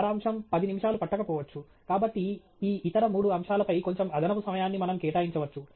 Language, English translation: Telugu, The summary may not take ten minutes; so, we can allow us ourselves a little extra time on these other three topics